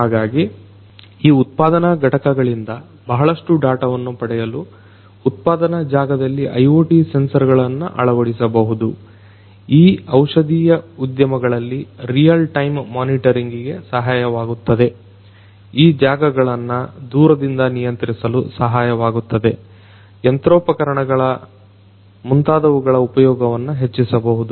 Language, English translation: Kannada, So, IoT sensors could be deployed in production areas could help in getting huge you know huge data from these manufacturing departments in these pharmaceutical industries can help in real time monitoring, can help in controlling these areas remotely, can improve the utilization of the equipments the machinery etc